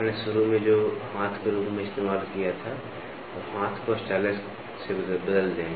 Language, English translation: Hindi, You initially what you used as your hand now, replace the hand by a stylus